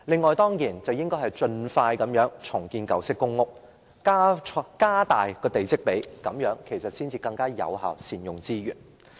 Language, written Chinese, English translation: Cantonese, 此外，政府應該盡快重建舊式公屋，並加大地積比率，更有效地善用資源。, Moreover the Government should expeditiously redevelop old PRH and increase the plot ratio so as to achieve more effective utilization of resources